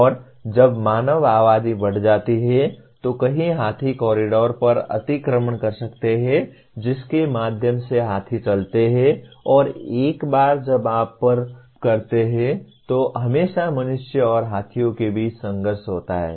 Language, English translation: Hindi, And when the human populations increase, one may be encroaching on to the elephant corridors through which the elephants move and once you cross that there is always a conflict between humans and elephants